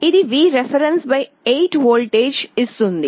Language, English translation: Telugu, This will give a voltage of Vref / 8